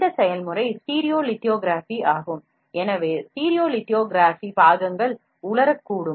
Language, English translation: Tamil, This process is stereolithography, stereolithography parts may therefore, cure or dry out to become a fully stable